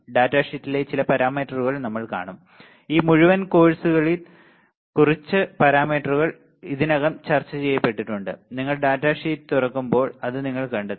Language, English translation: Malayalam, And we will we will see some of the parameters in the data sheet, few of the parameters are already discussed in this entire course you will find it when you open a data sheet lot of parameters we have already discussed which are mentioned in the data sheet